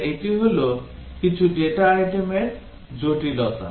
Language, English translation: Bengali, So that is the complexity for some data items